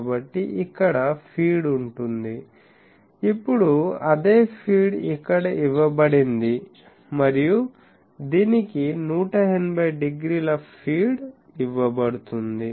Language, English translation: Telugu, So, there will be, sorry there will be feed here, now the same feed is given here and this one is given 180 degree feed